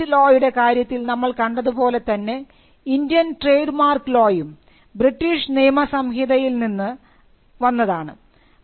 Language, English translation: Malayalam, So, we will see just as we had in the case of Patent Law, the origin of Indian Trademark Law is also from British Statutes